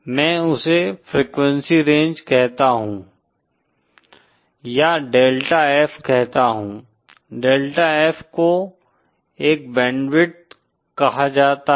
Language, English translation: Hindi, I call that range of frequencies or say I say, delta F well that delta F is called a band width